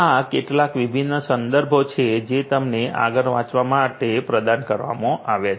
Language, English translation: Gujarati, These are some of these different references that have been provided to you, for your further reading